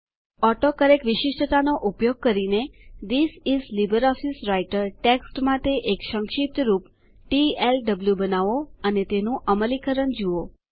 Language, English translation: Gujarati, Using the AutoCorrect feature, create an abbreviation for the text This is LibreOffice Writer as TLW and see its implementation